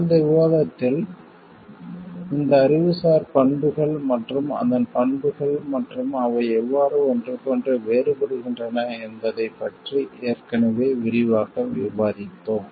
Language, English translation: Tamil, In the last discussion, we have already discussed about these in details about the details of these intellectual properties and there characteristics and how they are different from each other